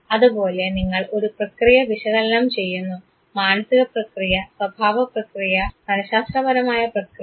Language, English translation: Malayalam, And therefore, you analyze the process; the mental process, the behavioral process, the psychological process